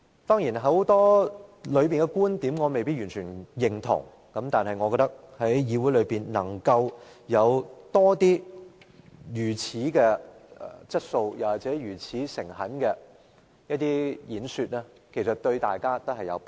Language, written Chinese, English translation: Cantonese, 當然，當中很多觀點，我未必完全認同，但我覺得議會如能有更多如此具質素或誠懇的演說，對大家也有裨益。, Of course I may not totally agree with many of his viewpoints . Yet it will be good for us to have more quality and sincere speeches in the Council